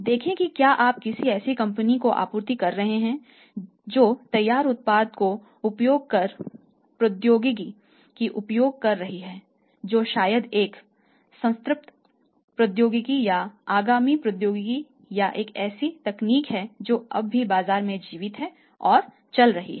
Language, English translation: Hindi, Look for that if you are supplying to a company who is manufacturing the finished product by using the technology which is maybe it is a saturated technology or to say some upcoming technology or it is still going to its technology is still expected to have the market or the other life